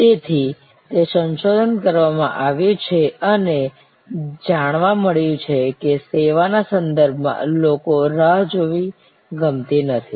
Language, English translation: Gujarati, So, it has been researched and found that in the service context people hate to wait